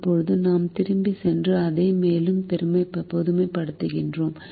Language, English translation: Tamil, now we go back and generalize it further